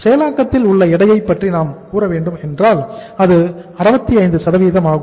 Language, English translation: Tamil, Then if you talk about the weight of the work in process it is 65%